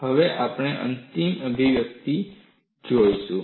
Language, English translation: Gujarati, We will now look at the final expression